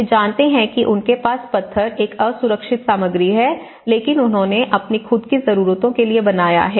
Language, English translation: Hindi, They know that they have, a stone is an unsafe material but they have built with their own for their own needs, for their own